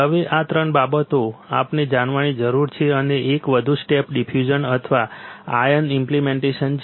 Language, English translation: Gujarati, Now, these three things we need to know and one more step is diffusion or ion implantation